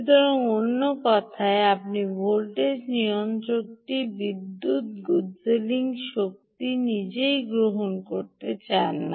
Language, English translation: Bengali, so, in other words, you dont want the voltage regulator to be power guzzling, power consuming itself